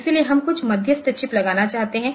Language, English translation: Hindi, So, we will like to put some intermediary chip